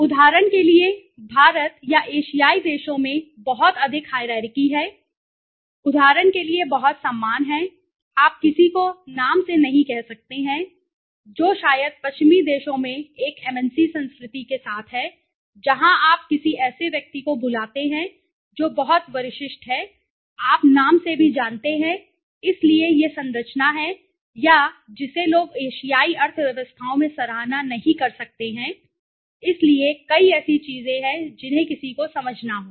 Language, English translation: Hindi, For example, in India or the Asian countries there is a lot of hierarchy for example there is a lot of respect you cannot say somebody by name right, which is maybe very okay with an MNC culture in the Western countries where you call somebody who is much senior to you by name also, so that is the structure or which people might not appreciate in Asian economies okay, so there are several such things which one has to understand